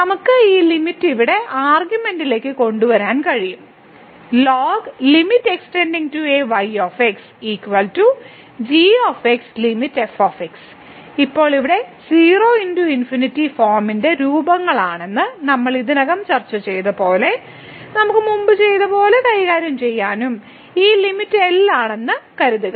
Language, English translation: Malayalam, And now here as we have already discussed that these are the forms of 0 into infinity form which we can deal as we have done before and suppose that this limit is